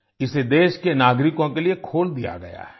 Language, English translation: Hindi, It has been opened for the citizens of the country